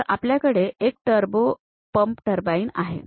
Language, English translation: Marathi, So, here we have a turbo pump turbine